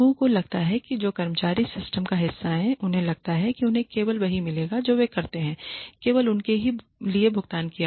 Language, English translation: Hindi, People feel that the employees who are a part of the system feel that they will get only they will get paid for only what they do